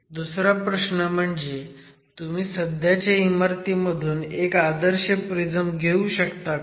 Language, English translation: Marathi, Second question, can you get a standard prism from the existing structure